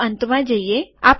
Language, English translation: Gujarati, Lets go to the end